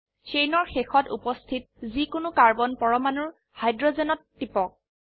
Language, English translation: Assamese, Click on hydrogen on any of the carbon atoms present at the end of the chain